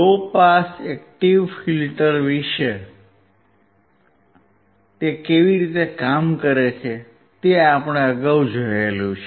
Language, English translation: Gujarati, We have earlier seen how the low pass active filter works